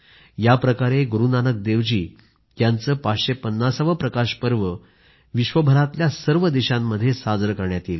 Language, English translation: Marathi, Guru Nanak Dev Ji's 550th Prakash Parv will be celebrated in a similar manner in all the countries of the world as well